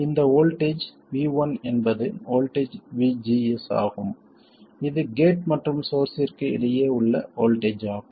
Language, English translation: Tamil, This voltage V1 is the voltage VGS, that is the voltage between gate and source